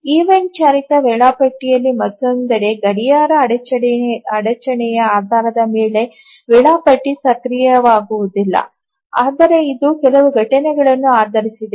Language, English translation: Kannada, On the other hand in an event driven scheduler, the scheduler does not become active based on a clock interrupt but it is based on certain events